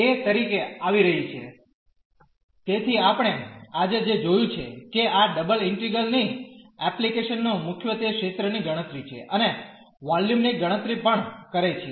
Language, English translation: Gujarati, So, what we have seen today that applications of this double integrals mainly the computation of area and also the computation of volume